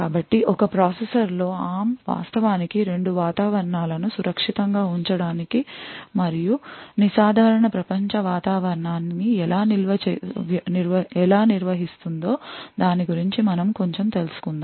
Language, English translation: Telugu, So, we look a little bit about how ARM actually manages this to have two environments secured and the normal world environment within the same processor